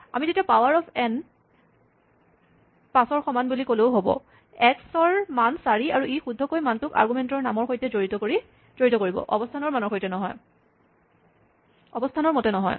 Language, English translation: Assamese, I can say, let us just play safe and say power of n equal to 5, x equal to 4 and this will correctly associate the value according to the name of the argument and not according to the position